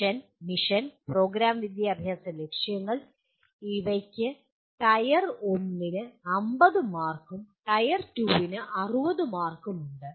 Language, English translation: Malayalam, Vision, Mission, and Program Educational Objectives Tier 1 carriers 50 marks and Tier 2 carries 60 marks